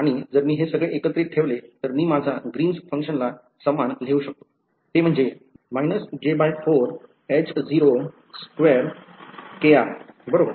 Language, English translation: Marathi, And if I put it altogether finally, I can write my greens function as equal to minus j by 4 H naught right